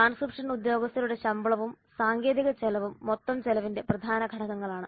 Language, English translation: Malayalam, Salary of the transcription personnel and technology costs are the major elements of total cost